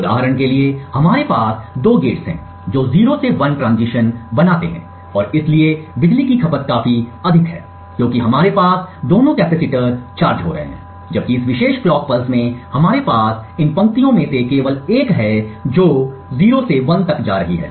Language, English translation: Hindi, For instance over here we have two gates making the 0 to 1 transition and therefore the power consumed is quite high because we have both the capacitors getting charged, while in this particular clock pulse we have just one of these lines going from 0 to 1 and therefore the power consumed is comparatively lesser